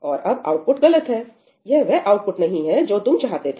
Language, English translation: Hindi, And now, the output is incorrect that is not the output that you wanted, right